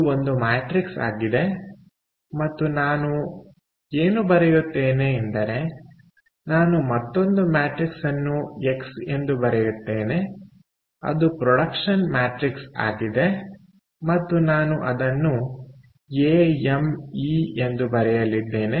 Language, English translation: Kannada, and what i will also write is: i will write another matrix as x, ok, which is the production matrix, and i am going to write it as a m and e, all right